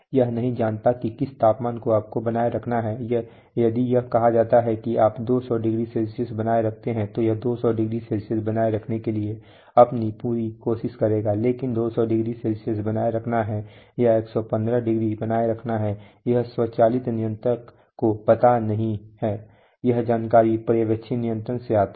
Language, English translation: Hindi, It does not know what temperature to maintain if it is told that you maintain 200˚C it will do its best to maintain 200˚, but whether to maintain 200˚ or to maintain 115˚ that the automatic controller does not know, that information must come from the supervisory controller